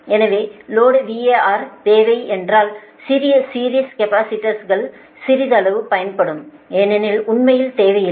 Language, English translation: Tamil, so if the load var requirement is small, series capacitors are of little use